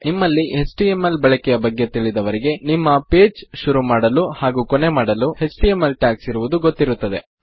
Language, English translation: Kannada, Those of you that are familiar with html will know that there are html tags to start your page and to end your page